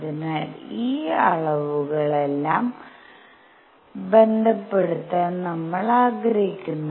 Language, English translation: Malayalam, So, we want to relate all these quantities